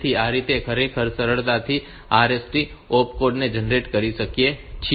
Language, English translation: Gujarati, So, that way we can really easily generate the opcode for the RST